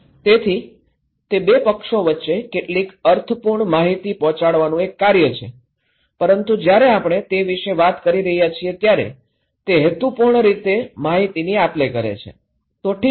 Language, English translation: Gujarati, So, it’s an act of conveying some meaningful informations between two parties but when we are talking about that they are purposeful exchange of informations, okay